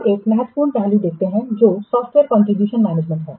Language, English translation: Hindi, Now let's see the important aspect that is the software configuration management